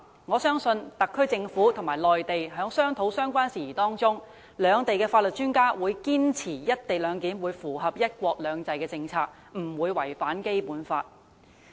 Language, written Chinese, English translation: Cantonese, 我相信特區政府和內地當局在商討相關事宜的過程中，兩地法律專家必會堅持確保"一地兩檢"方案符合"一國兩制"政策，不會違反《基本法》。, I believe that in the process of discussions between the SAR Government and the Mainland authorities legal experts of both sides will definitely strive to ensure that the arrangement adopted is in line with the policy of one country two systems and shall not contravene the Basic Law